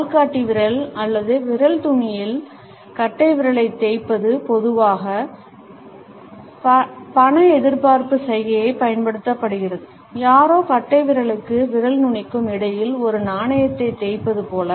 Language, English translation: Tamil, Rubbing the thumb against the index finger or fingertips is used as a money expectancy gesture normally, as if somebody is rubbing a coin between the thumb and the fingertips